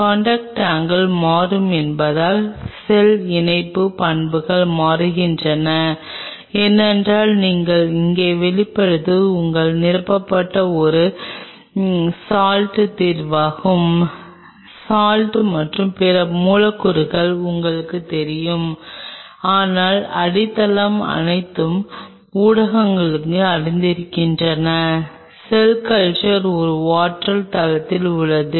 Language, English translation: Tamil, And since the contact angle changes the cell attachment properties also changes because you have to realize the medium what you are putting out here is a salt solution filled with you know salt and other molecules, but the base is aqueous all the mediums which are been used for cell culture are from are on a water base right